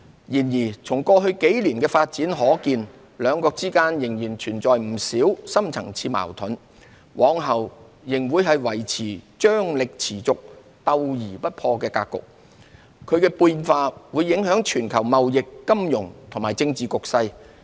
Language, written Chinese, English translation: Cantonese, 然而，從過去幾年的發展可見，兩國之間仍然存在不少深層次矛盾，往後仍會維持張力持續、鬥而不破的格局，其變化會影響全球貿易、金融及政治局勢。, However as seen from the developments in the past few years there remain many deep - seated conflicts between the two nations . Looking ahead relations between the two nations will remain in a state of continued tensions and on - going competition but without a total break - down . Changes in China - US relations will affect the global trade finance and political landscape